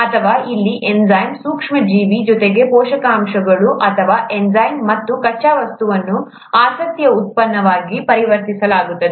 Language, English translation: Kannada, Or an enzyme here, in the micro organism plus nutrients or an enzyme, and the raw material is converted into the product of interest